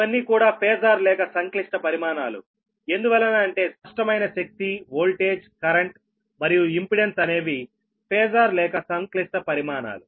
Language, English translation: Telugu, right, are phasor or complex quantities, because apparent power, voltage, current and impedance are phasor or complex quantities, right